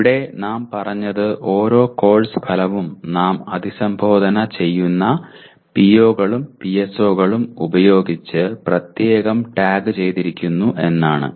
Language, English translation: Malayalam, And here what we have said is each course outcome we have separately tagged with the POs and PSOs it addresses